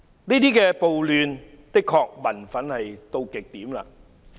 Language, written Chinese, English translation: Cantonese, 這些暴亂的確令民憤達到極點。, Such riots definitely fuelled public resentment to the peak